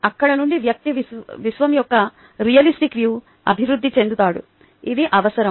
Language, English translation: Telugu, from there the person develops to a relativistic view of the universe